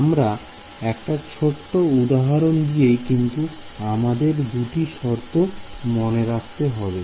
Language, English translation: Bengali, So, let us just a small example, but these are the two main requirements we have to keep in mind